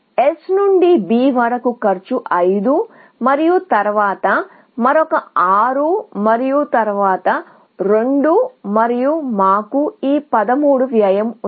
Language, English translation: Telugu, The cost from S to B is 5 and then, another 6 and then, 2 and we have this cost of 13